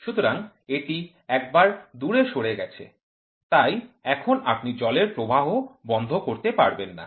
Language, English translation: Bengali, So, once that gives it away, so now you are not able to stop the water flow